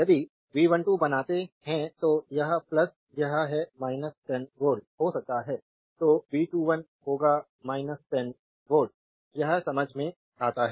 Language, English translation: Hindi, If you make V 1 2 that is if this is plus this is minus may be 10 volt, then V 2 1 will be minus 10 volt this is understandable right